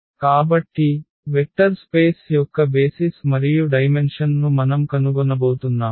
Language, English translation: Telugu, So, we have to we are going to find the basis and the dimension of the vector space